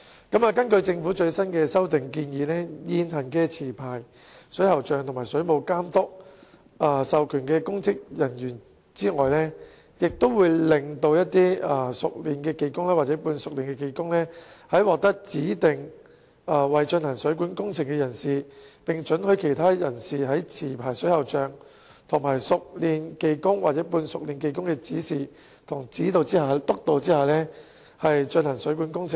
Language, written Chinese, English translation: Cantonese, 根據政府最新的修訂建議，除現行持牌水喉匠和水務監督授權的公職人員外，也會讓熟練技工或半熟練技工獲指定為進行水管工程的人士，並准許其他人士在持牌水喉匠和熟練技工或半熟練技工的指示和督導下進行水管工程。, According to the Governments latest amendment proposals apart from existing licensed plumbers and public officers authorized by the Water Authority skilled workers or semi - skilled workers may likewise be designated as persons who can undertake plumbing works and other persons will also be allowed to carry out plumbing works under the instruction and supervision of licensed plumbers skilled workers or semi - skilled workers